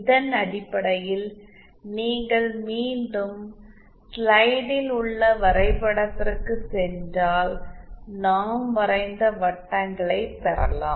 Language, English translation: Tamil, And based on this if you again go back to the diagram on the slide then gain circles that we have drawn are like this